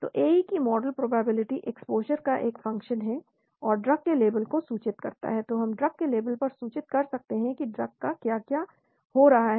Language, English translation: Hindi, So model probability of AE is a function of exposure, and inform the label of the drug, so we can inform the label of the drug what is happening to the drug